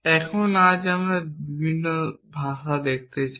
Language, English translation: Bengali, Now, today, we want to look at a different language